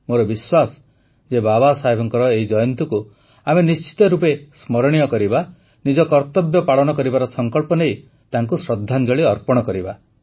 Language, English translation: Odia, I am sure that we will make this birth anniversary of Babasaheb a memorable one by taking a resolve of our duties and thus paying tribute to him